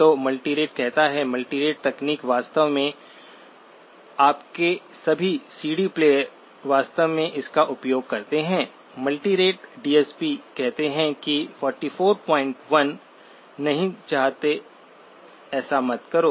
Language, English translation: Hindi, So multirate says, multirate technique, in fact all your CD players actually use this; multirate DSP says a 44